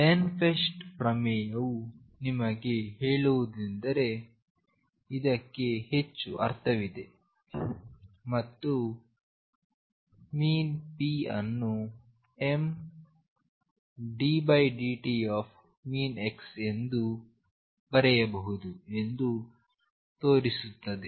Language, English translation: Kannada, What Ehrenfest theorem tell you is the more meaning to this and show that p can be written as m x d by dt